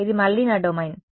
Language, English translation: Telugu, This is my domain again